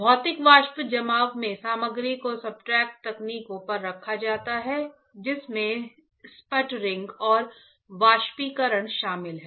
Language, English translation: Hindi, In physical vapor deposition, the material is placed on to substrate techniques include sputtering and evaporation